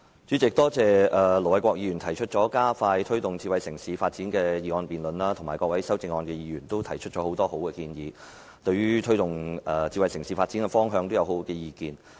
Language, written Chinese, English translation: Cantonese, 主席，多謝盧偉國議員提出"加快推動智慧城市發展"的議案辯論，以及各位提出修正案的議員也提出了很多好建議，他們對於推動智慧城市發展的方向也有很好的意見。, President I thank Ir Dr LO Wai - kwok for sponsoring the motion debate on Expediting the promotion of smart city development and Members who have proposed amendments that make many excellent proposals . They have many great ideas on the directions of promoting smart city development